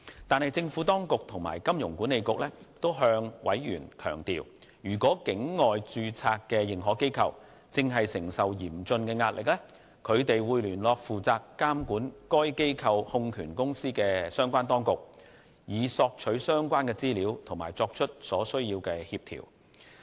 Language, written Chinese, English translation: Cantonese, 但是，政府當局和金管局均向委員強調，如果境外註冊認可機構正承受嚴峻的壓力，他們會聯絡負責監管該機構控權公司的相關當局，以索取相關資料並作出所需協調。, The Administration and HKMA stress that in the event of an overseas - incorporated AI being under severe stress they will communicate with the relevant authorities supervising the AIs holding company for information and necessary coordination